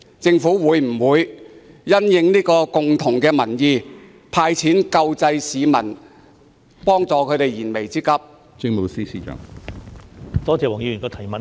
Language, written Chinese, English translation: Cantonese, 政府會否因應這共識"派錢"救濟市民，幫助他們解決燃眉之急？, Will the Government respond to this consensus and grant relief in the form of cash handouts to ease the imminent hardship of the people?